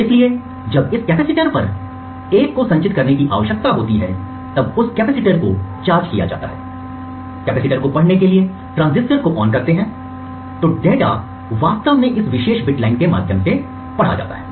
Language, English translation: Hindi, So when a 1 needs to be stored on this capacitor the capacitor is charged and in order to read the capacitance this transistor is turned ON and the data either 1 or 0 whether the capacitor is charged or discharged is actually read through this particular bit line